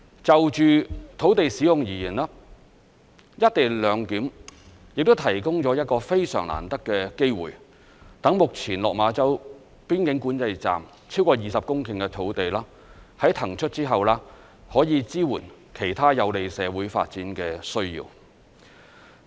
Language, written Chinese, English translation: Cantonese, 就着土地使用而言，"一地兩檢"亦提供了一個非常難得的機會，讓目前落馬洲邊境管制站超過20公頃的土地，在騰出後可以支援其他有利社會發展的需要。, As far as the land use is concerned the co - location arrangement also provides a precious chance to free up over 20 hectares of land at the existing site of the Lok Ma Chau Boundary Control Point which can be used to address the needs of social development